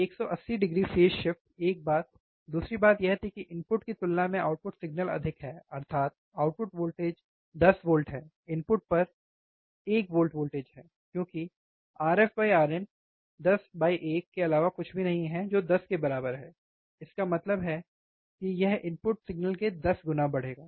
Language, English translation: Hindi, 180 degree phase shift, one thing, second thing was that the output signal is higher compared to the input, that is the voltage at output is 10, voltage at input is 1, because R f by R in R f by R in is nothing but 10 by 1 which is equals to 10; that means, it will amplify by 10 times the input signal